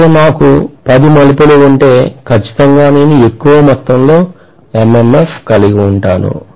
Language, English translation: Telugu, If I have 10 turns, definitely I am going to have a higher amount of MMF